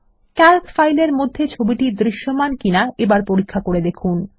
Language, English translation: Bengali, Check if the image is visible in the Calc file